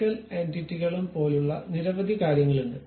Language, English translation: Malayalam, There are many other things also like move entities and many things